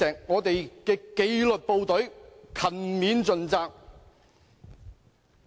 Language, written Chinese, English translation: Cantonese, 我們的紀律部隊勤勉盡責"。, Our disciplined services are firmly committed